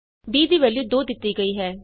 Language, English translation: Punjabi, b is assigned the value of 2